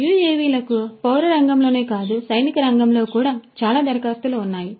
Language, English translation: Telugu, UAVs have also lot of applications not only in the civilian sector, but also in the military sector as well